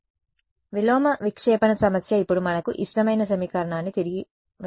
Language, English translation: Telugu, So, the inverse scattering problem now back to our favorite equation right